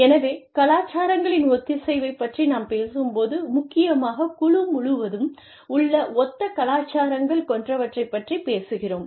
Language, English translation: Tamil, So, when we talk about, the homogenization of cultures, we are essentially talking about, people having similar cultures, across the board